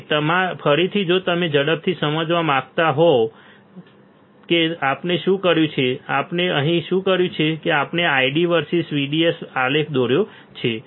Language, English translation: Gujarati, So, again if you want to understand quickly what we have done; what we have done here that we have drawn the ID versus VDS plot